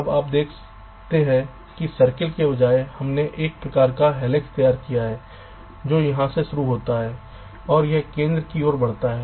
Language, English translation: Hindi, now you see, instead of circle we have drawn some kind of a helix which starts form here and it moves down towards the center